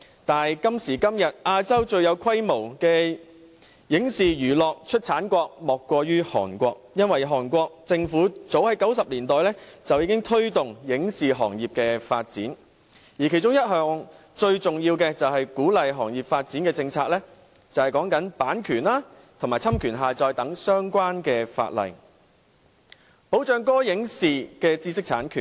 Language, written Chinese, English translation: Cantonese, 但是，今時今日，亞洲最有規模的影視娛樂出產國莫過於韓國，因為韓國政府早於1990年代已經推動影視行業的發展，而其中一項最重要的鼓勵行業發展政策是修訂版權和侵權下載等相關法例，保障歌、影、視的知識產權。, But today South Korea has transcended into the largest movie television and entertainment production country in Asia . The reason is that as early as the 1990s the South Korean Government already began to foster the development of its movie and television production industry . One of the most important policies on encouraging the industrys development was the introduction of legislative amendments concerning copyright and the copyright infringing act of downloading as a means to protect the intellectual property right of songs movies and television programmes